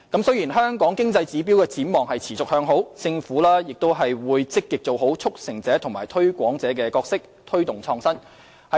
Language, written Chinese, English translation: Cantonese, 雖然香港經濟指標展望持續向好，政府仍會積極做好"促成者"和"推廣者"的角色，推動創新。, Despite the favourable outlook of Hong Kongs economic indicators the Government will still proactively play the role of a facilitator and a promoter and promote innovation